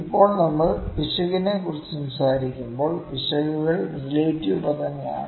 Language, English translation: Malayalam, Now when we talk about the error, errors are absolute terms mostly